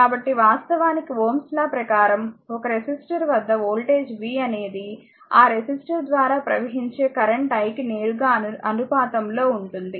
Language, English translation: Telugu, So, actually Ohm’s law states, the voltage v across a resistor is directly proportional to the current i flowing through the resistor